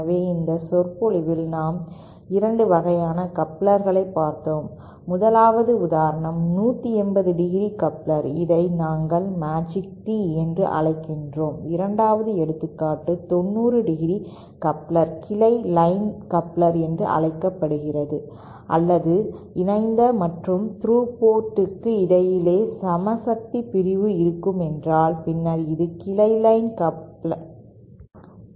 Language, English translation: Tamil, So, in this lecture, we covered 2 types of couplers, the 1st was the example of a 180¡ coupler which we call the Magic Tee and the 2nd was the example of the 90¡ coupler called the branch line coupler or if the if there is equal power division between the through and coupled ports, then it is called branch line hybrid